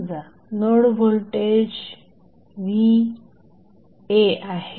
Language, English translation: Marathi, Suppose, the node voltage is Va